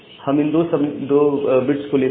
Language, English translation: Hindi, So, we take these two bits